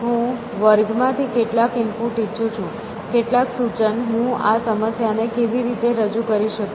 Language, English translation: Gujarati, So, I want some input from the class, some suggestion how can I represent this problem